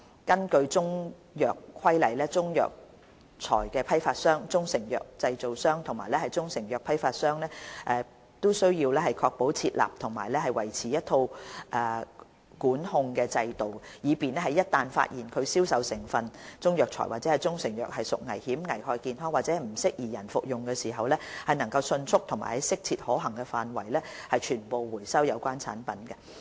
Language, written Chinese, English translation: Cantonese, 根據《中藥規例》，中藥材批發商、中成藥製造商和中成藥批發商均須確保設立和維持一套管控制度，以便在一旦發現其銷售的中藥材或中成藥屬危險、危害健康或不適宜人類服用時，能迅速及在切實可行範圍內收回所有有關產品。, Under CMR the wholesalers of Chinese herbal medicines manufacturers of proprietary Chinese medicines and wholesalers of proprietary Chinese medicines have the duty to set up and maintain a system of control to enable the rapid and so far as practicable complete recall of the Chinese medicine products sold by them in the event of such products being found to be dangerous injurious to health or unfit for human consumption